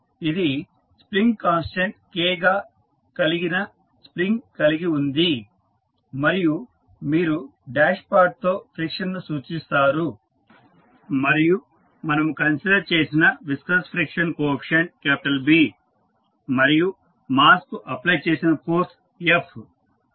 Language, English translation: Telugu, So, it is having spring with spring constant K and you represent the friction with dashpot and the viscous friction coefficient which we considered is B and the force f which is applied to the mass